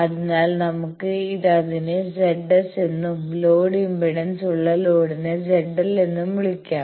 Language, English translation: Malayalam, So, let us call that Z S and the load that is having the load impedance Z l